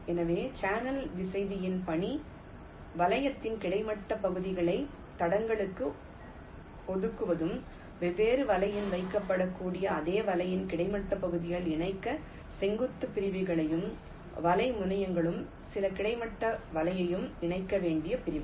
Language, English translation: Tamil, so the task of the channel router will be to assign the horizontal segments of net to tracks and assign vertical segments to connect the horizontal segments of the same net, which which maybe placed in different tracks, and the net terminals to some of the horizontal net segments